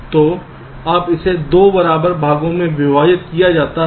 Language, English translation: Hindi, so when it is divide into two equal parts